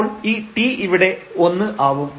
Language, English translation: Malayalam, So, this x so, this is 0